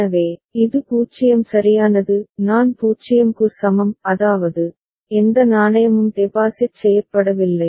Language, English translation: Tamil, So, this is 0 right; I is equal to 0 so; that means, no coin has been deposited